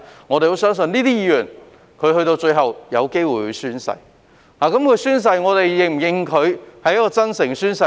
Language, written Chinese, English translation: Cantonese, 我們相信這些議員最後也有機會宣誓，而當他們宣誓時，我們是否認同他們是真誠地宣誓呢？, I believe all these members will have a chance to take oath in the end but do we agree that they will take oath truthfully in the course of it?